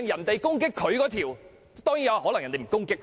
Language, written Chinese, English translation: Cantonese, 當然，其他議員可能不會攻擊他。, Certainly other Members may not attack him